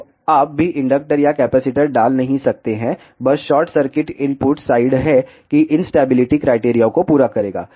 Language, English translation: Hindi, So, you do not even have to put inductor or capacitor simply short circuit the input side that will satisfy the instability criteria